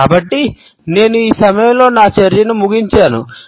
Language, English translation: Telugu, So, I would end my discussion at this point